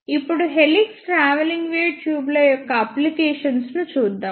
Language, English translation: Telugu, Now, let us see applications of helix travelling wave tubes